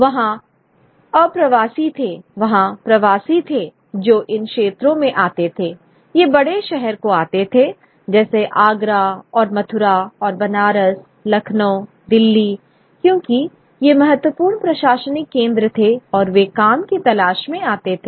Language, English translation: Hindi, There were immigrants, there were migrants who would come to these territories, these large cities, Agra and Mathura and Manaras, Lucknow, Delhi, because these were important administrative centers and they would be looking for work